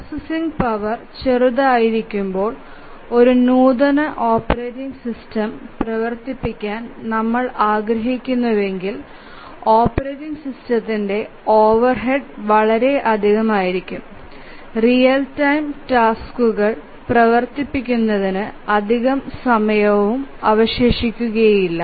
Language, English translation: Malayalam, When the processing power is small, if we want to run a sophisticated operating system, then the overhead of the operating system will be so much that there will be hardly any time left for running the real time tasks